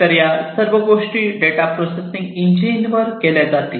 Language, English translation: Marathi, So, all of these things are going to be done at the data processing engine